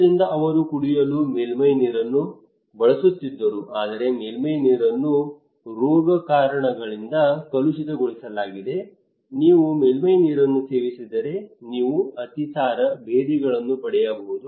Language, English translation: Kannada, So they used to have surface water for drinking, but surface water was contaminated by pathogens waterborne disease like if you are consuming surface water you can get diarrhoea, dysentery